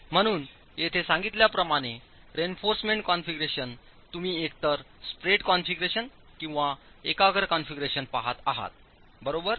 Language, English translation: Marathi, So, the reinforcement configuration as stated here, we are looking at either a spread configuration or a concentrated configuration